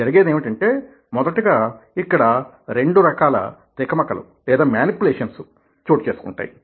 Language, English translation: Telugu, so what happens is, number one, that two kinds of manipulations takes place over here